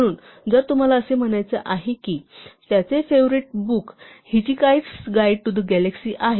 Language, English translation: Marathi, So, if you want to say ‘‘‘He said his favorite book is within quotes “Hitchhiker’s Guide to the Galaxy” ’”